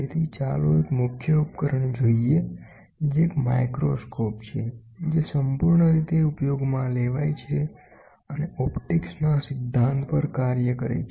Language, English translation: Gujarati, So, let us look at a principle device, which is a microscope, which is exhaustively used which works on the principle of optics